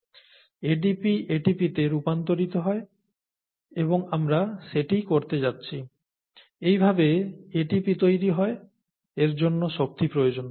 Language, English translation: Bengali, ADP gets converted to ATP and that’s what we are going to, that’s how ATP gets formed and that would require input of energy, okay